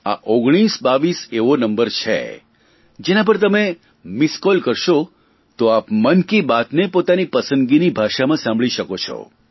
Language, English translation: Gujarati, This 1922 is one such number that if you give a missed call to it, you can listen to Mann Ki Baat in the language of your choice